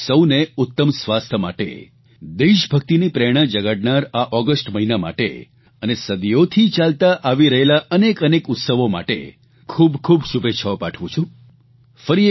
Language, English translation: Gujarati, I wish all of you best wishes for good health, for this month of August imbued with the spirit of patriotism and for many festivals that have continued over centuries